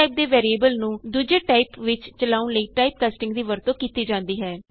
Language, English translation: Punjabi, Typecasting is a used to make a variable of one type, act like another type